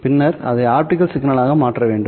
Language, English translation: Tamil, So this will then be given to the optical fiber